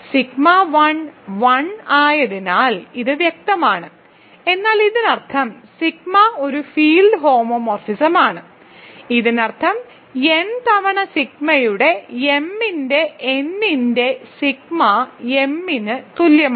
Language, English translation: Malayalam, This is clear because sigma 1 is 1, but this means sigma is a field homomorphism, so this means sigma of n times sigma of m by n is equal to m, ok